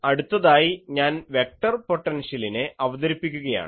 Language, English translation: Malayalam, So, I introduce the vector potential